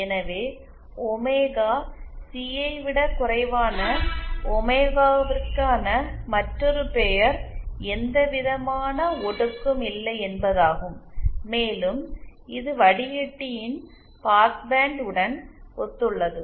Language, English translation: Tamil, So in another words for omega lesser than omega C there is no attenuation, and it corresponds to the past band of the filter